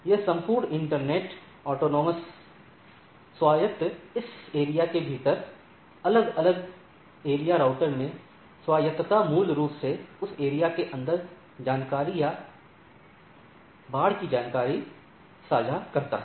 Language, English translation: Hindi, That the whole internetwork autonomous, autonomous into different area routers within the area basically share information or flood information inside that areas